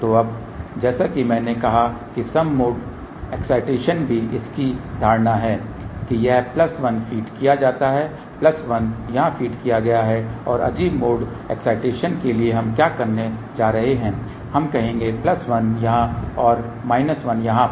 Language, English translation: Hindi, So, now, as I said even mode excitation its assuming that this is plus 1 fed here plus 1 fed here, and for odd mode excitation what we are going to do we will say plus 1 here and minus 1 over here